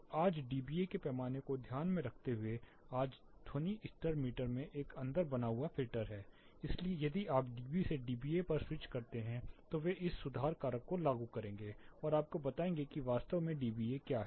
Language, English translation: Hindi, So, keeping this in mind a dBA scale today the sound levels meter today have a built in filter, so if you switch from dB to dBA they will apply this correction factor and tell you what dBA is actually